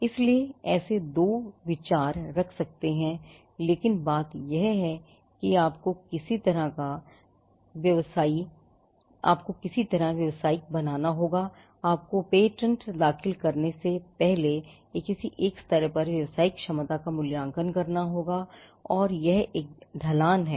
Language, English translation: Hindi, So, so there are two views you can take, but the thing is that you have to make some kind of a commercial you have to evaluate the commercial potential at some level before you can file a patent and it is a steep slope